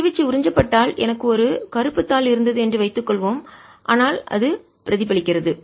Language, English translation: Tamil, if the radiation got absorbs, suppose i had a black sheet, but it is getting reflected